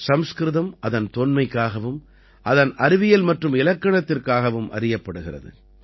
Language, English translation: Tamil, Sanskrit is known for its antiquity as well as its scientificity and grammar